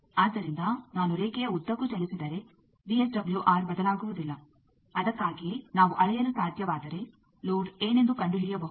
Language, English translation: Kannada, So, if I move along the line VSWR does not change, that is why if we can measure we can find out what is the load